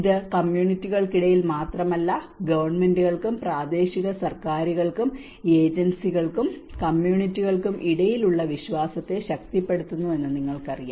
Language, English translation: Malayalam, You know it builds trust not only between the communities, it also empowers trust between the governments and the local governments and the agencies and the communities